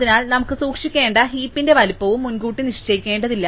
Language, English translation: Malayalam, So, we do not have to fix in advance the size of the heap that we need to keep